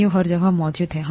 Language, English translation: Hindi, The organisms are present everywhere